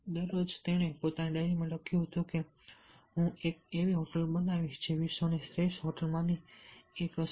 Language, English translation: Gujarati, he wrote in his diary that i will, i will, i will make a hotel which will be one of the best hotel in the world